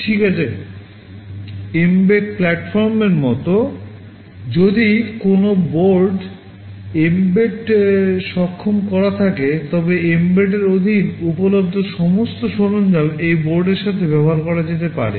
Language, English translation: Bengali, Well, mbed is like a platform; if a board is mbed enabled then all the tools that are available under mbed can be used along with this board